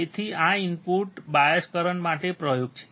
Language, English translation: Gujarati, So, this is experiment for input bias current